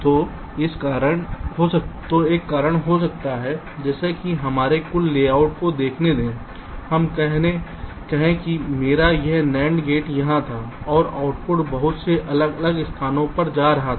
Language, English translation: Hindi, so there can be another reason like, say, lets look at my total layout, lets say my, this nand gate was here and the output was going to so many different place